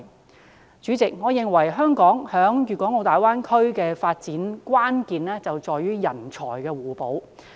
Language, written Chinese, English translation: Cantonese, 代理主席，我認為香港在大灣區的發展關鍵在於人才互補。, Deputy President I think the key to Hong Kongs development in the Greater Bay Area lies in the complementarity of talents